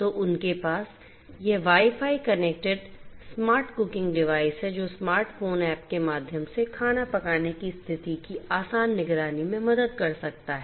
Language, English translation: Hindi, So, they have this Wi Fi connected smart cooking device that can help in easy monitoring of the cooking status via the smart phone app